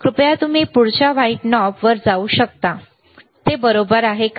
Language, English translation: Marathi, Can you please go to the next knob white that is it right